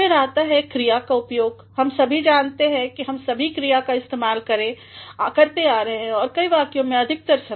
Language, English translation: Hindi, Then comes the use of a verb, we all know we all have been using verbs in a number of sentences most of the time